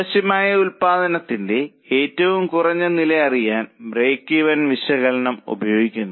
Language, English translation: Malayalam, Now, break even analysis is used to know the minimum level of production required